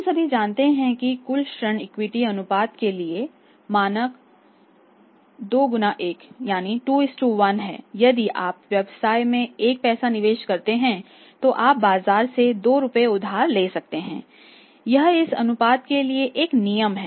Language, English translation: Hindi, If the standard ratio we all know that this is the total debt equity ratio the standard ratio is 2:1 if you invest 1 money in the business you can borrow 2 rupees from the market this is the standard ratio which standard rule of thumb